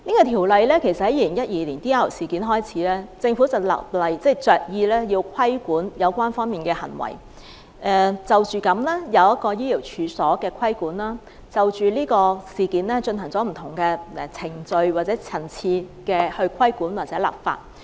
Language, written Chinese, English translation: Cantonese, 《條例草案》其實由2012年的 DR 事件開始，政府着意立例規管有關方面的行為，因而對醫療處所作出規管，就着事件進行不同程序或層次的規管或立法。, The Bill originated from the DR incident in 2012 . The Government was determined to regulate these irregularities by way of legislation . Thus regulation was introduced against medical premises and different extents or levels of regulation and legislation were implemented in relation to the incident